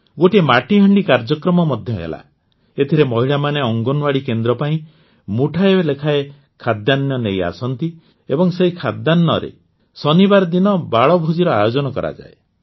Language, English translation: Odia, A Matka program was also held, in which women bring a handful of grains to the Anganwadi center and with this grain, a 'Balbhoj' is organized on Saturdays